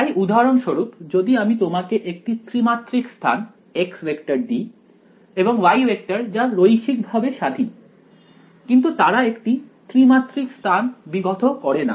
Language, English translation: Bengali, So for example, if I give you three dimensional space x vector and y vector they are linearly independent, but they do not span three dimensional space